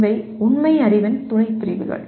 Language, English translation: Tamil, So these are the subcategories of factual knowledge